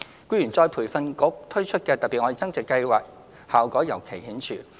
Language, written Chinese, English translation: Cantonese, 僱員再培訓局推出的"特別.愛增值"計劃，效果尤為顯著。, The effectiveness of the Love Upgrading Special Scheme launched by the Employees Retraining Board ERB is particularly impressive